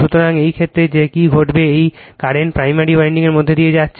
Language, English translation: Bengali, So, in this case what will happe,n this is the current going through the primary winding